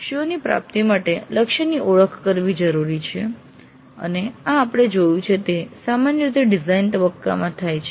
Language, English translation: Gujarati, It is required to identify a target for the attainment of COs and this we have seen is done typically in the design phase